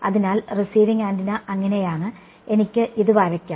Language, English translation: Malayalam, So, receiving antenna is so, I can just draw this